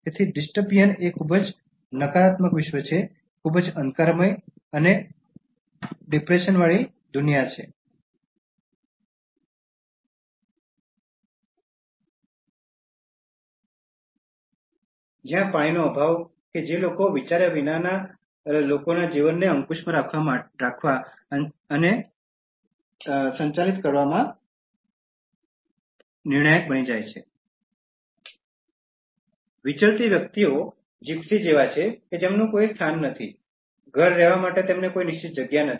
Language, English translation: Gujarati, So, dystopian is a very negative world, very gloomy and depressive world where the excess as well as the lack of water become crucial in controlling and governing the lives of people who have become nomads, nomads are like gypsies no one place, no one fixed house to live in